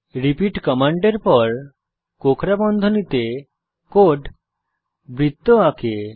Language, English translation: Bengali, repeat command followed by the code in curly brackets draws a circle